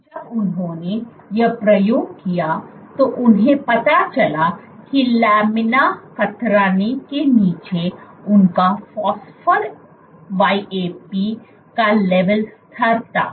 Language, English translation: Hindi, When they did this experiment what they found was under laminar shear stress their phosphor YAP levels were constant